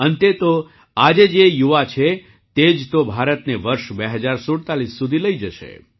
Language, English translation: Gujarati, After all, it's the youth of today, who will take are today will take India till 2047